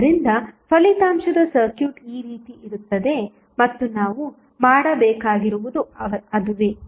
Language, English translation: Kannada, So, the resultant circuit would be like this and what we need to do is that